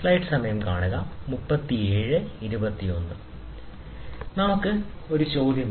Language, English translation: Malayalam, So, let us take this as a question